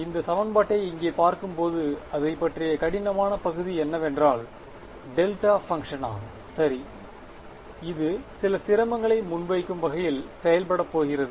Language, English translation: Tamil, When you look at this equation over here what is the difficult part about it is the delta function right, it is going to act in the way that will present some difficulty